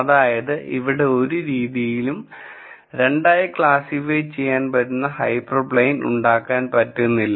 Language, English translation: Malayalam, So, there is no way in which I can simply generate a hyper plane that would classify this data into 2 regions